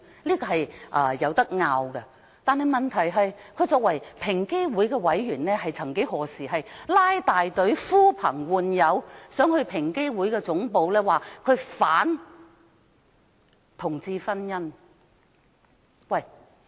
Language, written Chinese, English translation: Cantonese, 這是可以爭論的事，問題是，他作為平機會委員，卻曾經拉大隊、呼朋喚友到平機會總部反對同志婚姻。, This is subject to debate . Yet the problem is that Mr Holden CHOW being an EOC member once organized a large group of people to protest against same - sex marriage at the head office of EOC